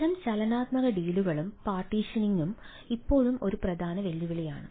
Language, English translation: Malayalam, that type of dynamic deals and partitioning is still a major challenge, right